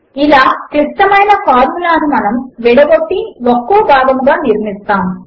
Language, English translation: Telugu, This is how we can break down complex formulae and build them part by part